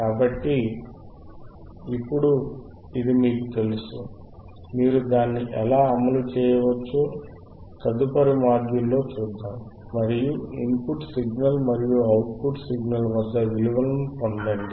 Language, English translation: Telugu, So now you have you know this, let us see in the next module how you can implement it, and let us get the values at the input signal and output signal